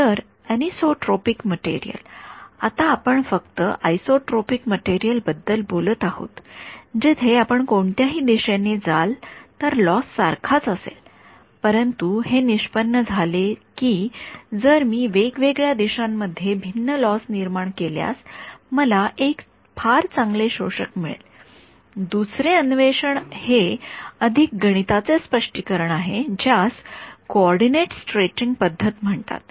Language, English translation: Marathi, So, anisotropic material right now we have only been dealing with isotropic material where whichever direction you go the loss is the same, but it turns out that if I create different losses in different directions I am beginning I end up with a material that is a very good absorber the second interpretation is a more mathematical interpretation which is called the coordinate stretching method